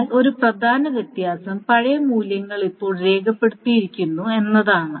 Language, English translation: Malayalam, But with one important difference is that the old values are now recorded